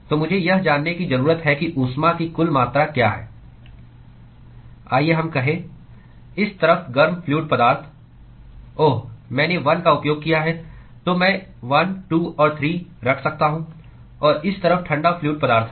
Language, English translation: Hindi, So, I need to know what is the total amount of heat that is transferred from let us say, hot fluid on this side oh I used 1, so I can puT1, 2 and 3 and cold fluid on this side